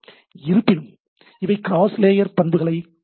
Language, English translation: Tamil, But nevertheless, they use the cross layer phenomena